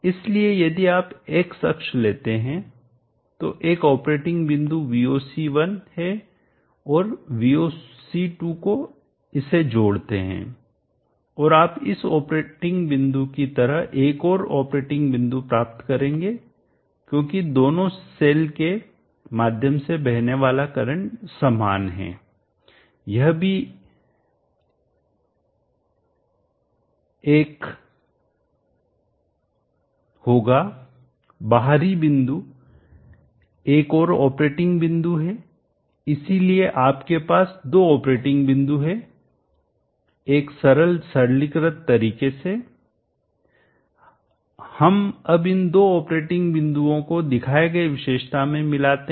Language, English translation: Hindi, That is PV cell 1 voltage plus PV cell 2 voltage so if you take the x axis there is an operating point we will see 1 and we will see to add it up and you will get this operating point likewise another operating point is as the current flowing through both the cells is the same this would be the one at the outer point is another operating point, so you have two operating points in a simple simplistic manner let us just combine these two operating points into the characteristic as shown here